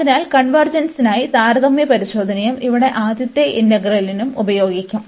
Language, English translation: Malayalam, So, for the convergence, we will use this comparison test and for the first integral here, if we discussed first